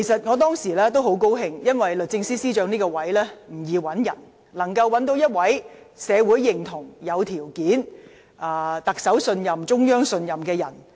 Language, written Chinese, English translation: Cantonese, 我當時很高興，因為合適的司長人選，必須備受社會認同、有條件，以及得到特首及中央信任。, I was very pleased at that time because the suitable candidate for the position of Secretary for Justice must be someone endorsed by the community qualified and trusted by the Chief Executive and the Central Authorities